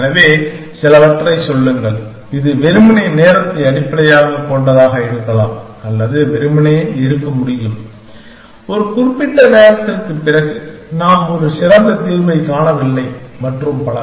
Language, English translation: Tamil, So, tell some, it can be simply time based or it can be simply is that we are not finding a better solution after a certain amount of time and so on